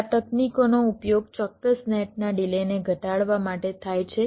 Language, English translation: Gujarati, this techniques are used to reduce the delay of a particular net